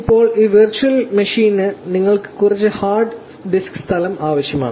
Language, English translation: Malayalam, Now, you also need some hard disk space for this virtual machine